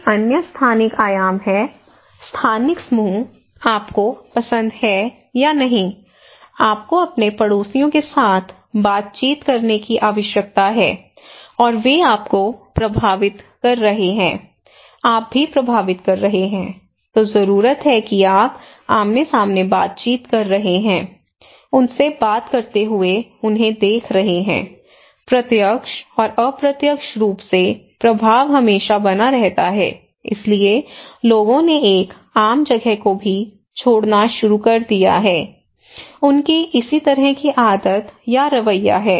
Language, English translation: Hindi, Another dimension is the spatial dimension; spatial groups, you like or not like, you need to interact with your neighbours and they influencing you, you are also influencing them so, you need to you are interacting face to face, talking to them watching them so, direct and indirect influence always there, so people started to leave in one common place also, they have a similar kind of habit or attitude